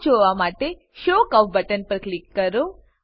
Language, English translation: Gujarati, Click on Show curve button to view the Chart